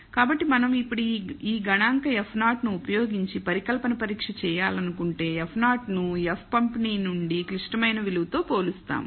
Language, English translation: Telugu, So, if we want to now do a hypothesis test using this statistic F naught we compare F naught with the critical value from the F distribution